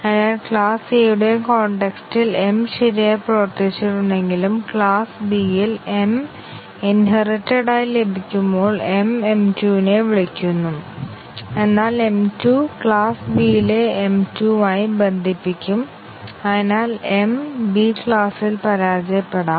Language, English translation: Malayalam, So even though m worked correctly in the context of class A the same m when inherited in class B and m is calling m 2, but m 2 will bind to the m 2 in the class B and therefore, m can fail in class B